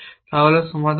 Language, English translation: Bengali, So, what is the solution to this